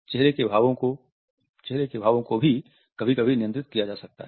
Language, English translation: Hindi, Facial expressions can also be sometimes controlled